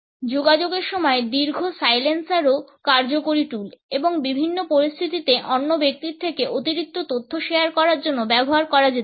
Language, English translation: Bengali, Longer silencers during communication are also in effective tool and in different situations can be used to get the other person to share additional information